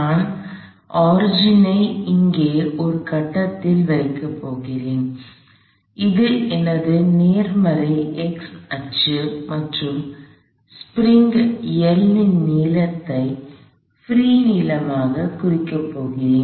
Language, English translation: Tamil, I am going to place my origin at some point here, say that is my positive x axis and I am going to denote this length of the spring L as the free length